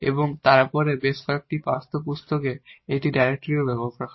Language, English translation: Bengali, And then there is a directory also used in several textbooks